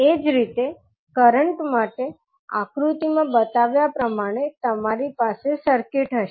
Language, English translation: Gujarati, Similarly, for current, you will have the circuit as shown in the figure